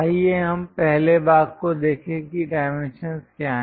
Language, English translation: Hindi, Let us look at the first part what are dimensions